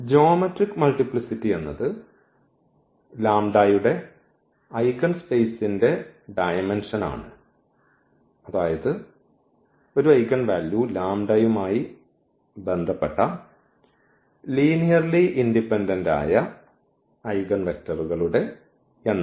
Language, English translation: Malayalam, And the geometric multiplicity is nothing but, the dimension of the eigenspace of lambda; that means, the number of linearly independent eigenvectors corresponding to an eigenvalue lambda